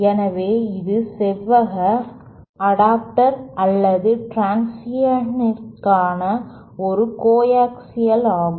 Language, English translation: Tamil, So, this is how, this is a coaxial to rectangular adapter or transition